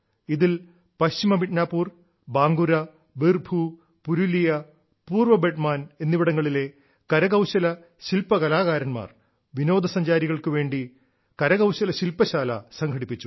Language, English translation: Malayalam, The Handicraft artisans from West Midnapore, Bankura, Birbhum, Purulia, East Bardhaman, organized handicraft workshop for visitors